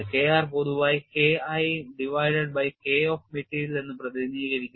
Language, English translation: Malayalam, K r is generally represented as K 1 divided by K of material